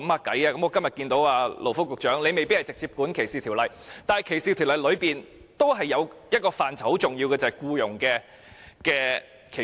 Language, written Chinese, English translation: Cantonese, 我今天看到勞福局局長在席，他未必是直接負責歧視條例的，但在歧視條例當中，也是有一個很重要的範疇，便是僱傭歧視。, Today I can see the Secretary for Labour and Welfare seated here . He may not be the one directly in charge of anti - discrimination legislation but in the legislation against discrimination there is one very important area that is employment discrimination